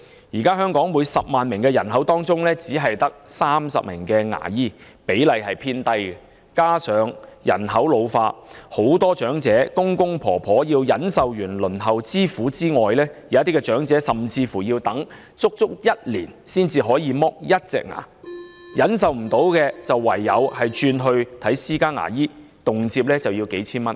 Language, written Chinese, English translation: Cantonese, 現時香港每10萬名人口中，只有30名牙醫，比例偏低，加上人口老化，許多長者除了要忍受輪候之苦外，有一些長者甚至要等足1年才能脫去1顆牙齒，要是等不及，便唯有轉往看私家牙醫，屆時動輒便須耗費數千元了。, At present there are only 30 dentists per 100 000 population in Hong Kong a very low ratio . Given the ageing population many elderly people here have to endure the excessively long waiting time and some may have to wait for as long as a whole year merely to have a tooth extracted . They will have to turn to private dentists for tooth extraction service if they cannot wait which may cost them thousands of dollars then